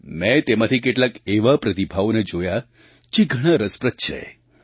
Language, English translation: Gujarati, I came across some feedback that is very interesting